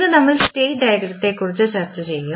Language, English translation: Malayalam, Today we will discuss about the state diagram and before going to the state diagram